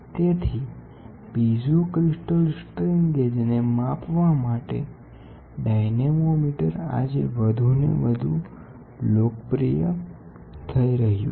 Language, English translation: Gujarati, So, piezo crystal dynamometer for measuring strain gauges are becoming more and more popular today